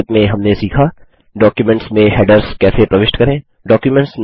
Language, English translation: Hindi, In this tutorial we will learn: How to insert headers in documents